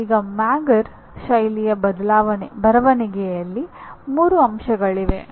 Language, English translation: Kannada, Now there are 3 elements in Mager style of writing